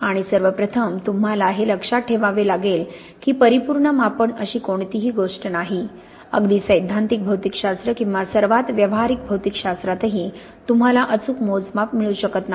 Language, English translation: Marathi, And first and foremost, you have to be aware that there is no such thing as a perfect measurement, not even in the most theoretical physics or the most practical physics can you have absolutely accurate measurements